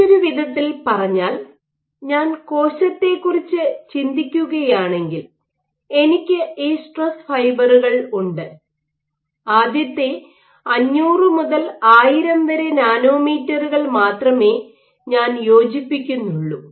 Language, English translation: Malayalam, In other words, if I think of the cell, I have these stress fibres I am only fitting the first 500 to 1000 nanometers